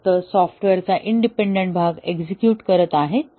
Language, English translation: Marathi, They are only executing the independent part of the software